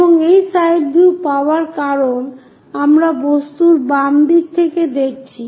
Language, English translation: Bengali, And this side view because we are looking from left side of the object